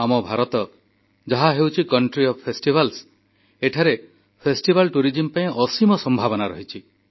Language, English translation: Odia, Our India, the country of festivals, possesses limitless possibilities in the realm of festival tourism